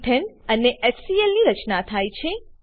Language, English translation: Gujarati, Ethane and HCl are formed